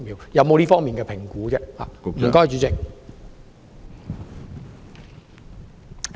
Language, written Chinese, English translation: Cantonese, 有否這方面的評估？, Has she made any assessment in this regard?